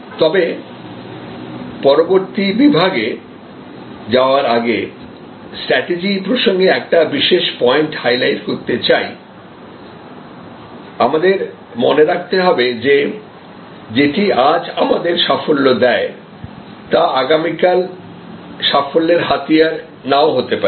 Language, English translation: Bengali, But, when before I progress to the next section, I must highlight one particular point to remember in the strategic context, that what gives us success today, may not be the tool for success tomorrow